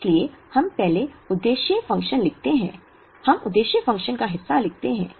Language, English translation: Hindi, So, we first write the objective function, we write part of the objective function